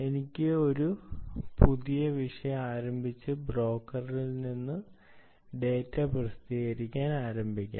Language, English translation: Malayalam, in other words, i can simply start a new topic and then start publishing the data to the broker